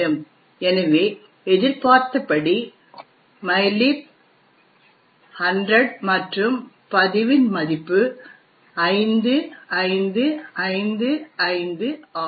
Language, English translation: Tamil, So, as expected we would see in mylib is 100 and the value of log is 5555